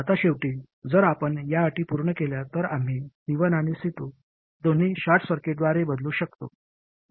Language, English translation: Marathi, Now finally, if we satisfy these conditions, then we can replace both C1 and C2 by short circuits